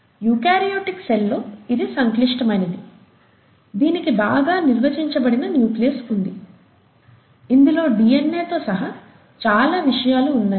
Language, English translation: Telugu, Whereas in the eukaryotic cell, it's complex, it has a well defined nucleus that contains many things including DNA, right